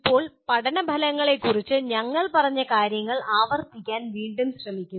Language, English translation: Malayalam, Now, once again we will try to repeat what we have stated about learning outcomes